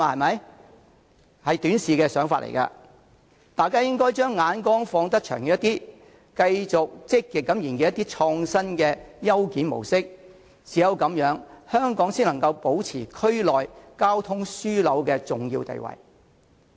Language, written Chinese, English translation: Cantonese, 這是短視的想法，大家應該將眼光放遠些，繼續積極研究創新的優檢模式，唯有這樣，香港才能保持區內交通樞紐的重要地位。, This is a short - sighted view and we should look a little bit farther to keep exploring actively other innovative and efficient modes of clearance because only through this can Hong Kong maintain its important status as a transport hub in the region